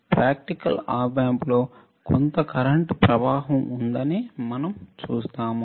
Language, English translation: Telugu, In practical op amps we see that there is some flow of current